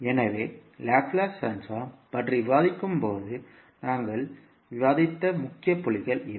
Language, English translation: Tamil, So, these are the key points which we discussed when we are discussing about the Laplace transform